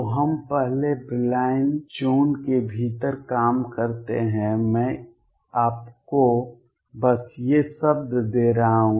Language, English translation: Hindi, So, we work within the first Brillouin zone, I am just giving you these words